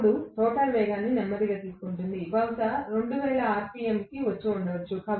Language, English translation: Telugu, Now, the rotor has picked up speed slowly may be it have come to 2000 rpm